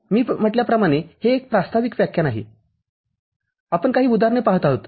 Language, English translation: Marathi, As I said this is an introductory lecture we are looking at some example cases